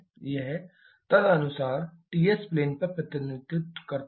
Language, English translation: Hindi, This is the corresponding representation Ts plane